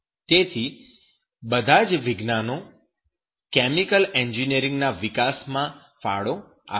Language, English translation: Gujarati, So all sciences will be contributing to the development of chemical engineering